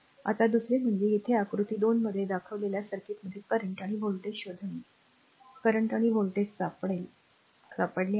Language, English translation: Marathi, Now another one so, this is find the current and voltages in the circuit shown in figure 2 here, we have find the current and voltage